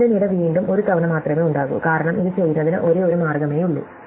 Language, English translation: Malayalam, The first column will again be only once because there will be only way to do this